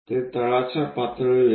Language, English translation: Marathi, that comes at bottom level